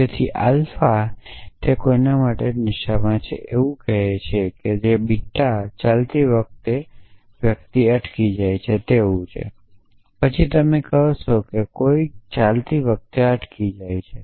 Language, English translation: Gujarati, So, that could be alpha could stands for somebody is drunk and beta will stands for person stagger while walking essentially, then you say somebody staggering while walking essentially